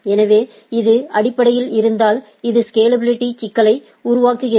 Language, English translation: Tamil, So, if it is basically, this creates a problem in scalability